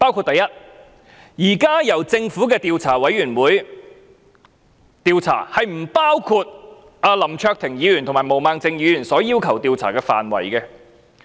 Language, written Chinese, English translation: Cantonese, 第一，現在由政府的獨立調查委員會進行的調查，並不包括林卓廷議員和毛孟靜議員要求的調查範圍。, First the investigation currently conducted by the Commission of the Government does not include the areas of investigation proposed by Mr LAM Cheuk - ting and Ms Claudia MO